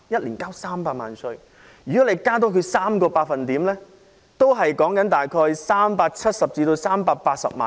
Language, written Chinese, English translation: Cantonese, 如果他們的薪俸稅增加 3%， 只是約370萬元至380萬元。, If their salaries tax rate is increased by 3 % the additional tax payment will only be about 3.7 million to 3.8 million